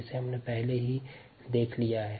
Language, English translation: Hindi, that we already seen